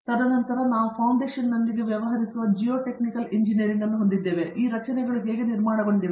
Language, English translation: Kannada, And then we have Geotechnical engineering which deals with foundation, how these structures are built on